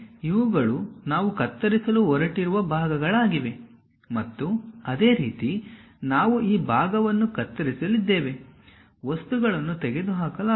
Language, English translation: Kannada, So, these are the portions what we are going to cut and similarly we are going to cut this part, cut that part, material is going to get removed